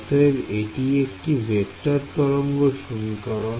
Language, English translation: Bengali, So, this is the vector wave equation ok